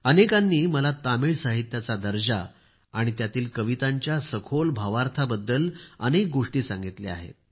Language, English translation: Marathi, Many people have told me a lot about the quality of Tamil literature and the depth of the poems written in it